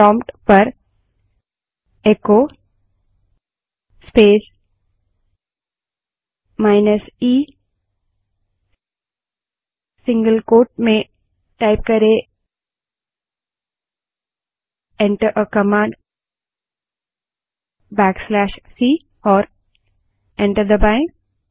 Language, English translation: Hindi, Type at the prompt echo space minus e within single quote Enter a command \c and press enter